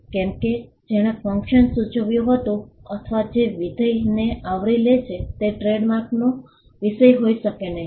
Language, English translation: Gujarati, Something which is which did denote a function, or which covers a functionality cannot be the subject matter of a trademark